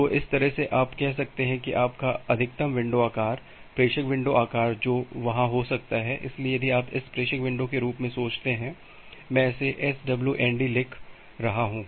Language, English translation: Hindi, So, that way you can say that your maximum window size, the sender window size which can be there, so if you think about this as the sender window, I am writing it as ‘swnd’